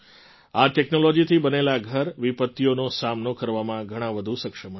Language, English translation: Gujarati, Houses made with this technology will be lot more capable of withstanding disasters